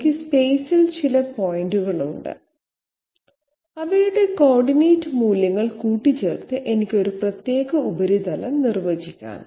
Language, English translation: Malayalam, I have some points in space and by mixing up their coordinate values I can define a particular surface